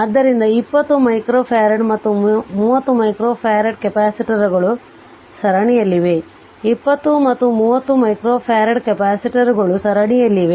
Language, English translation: Kannada, So, 20 minus micro farad and 30 micro farad capacitors are in series, if you look into that 20 and 30 micro farad capacitors are in series